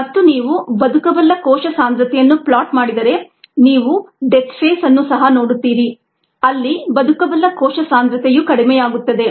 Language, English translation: Kannada, and if you plot viable cell concentration, you would also see a death phase where the viable cell concentration goes down